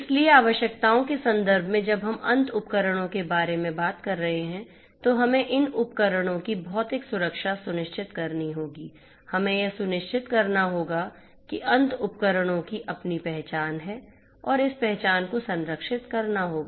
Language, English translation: Hindi, So, in terms of the requirements you know when we are talking about the end devices we have to ensure physical security of these devices, we have to ensure that the end devices have their identity and this identity will have to be protected, we have to ensure the protection of the data the and also the access control